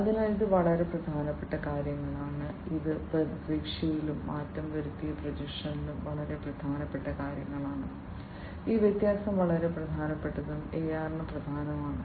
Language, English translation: Malayalam, So, this is these are very important things these are very important things in expectation and altered projection, this differentiation is very important and is key to AR